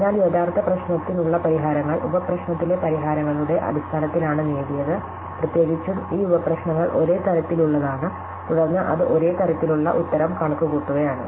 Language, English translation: Malayalam, So, the solutions to the original problem are derived in terms of solutions in the sub problem and in particular to this sub problem is of the same type, then it is computing the same type of answer